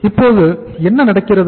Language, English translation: Tamil, Now what is happening